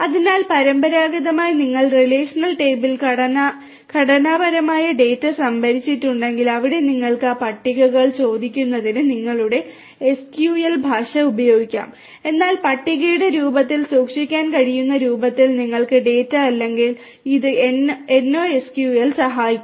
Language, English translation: Malayalam, So, if you have structured data stored in relational table traditionally so, there you can use your SQL, SQL language for querying those tables, but if you do not have the data in the form that can be stored in the form of tables then this NoSQL will help